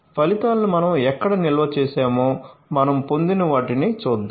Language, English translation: Telugu, So, where we have stored the results let us see what we have obtained